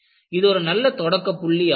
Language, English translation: Tamil, So, it is a good starting point